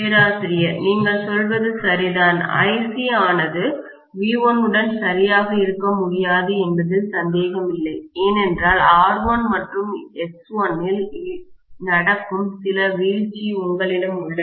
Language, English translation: Tamil, You are right, there is no doubt that Ic cannot be exactly in phase with V1 because you have some drop that is taking place in R1 and X1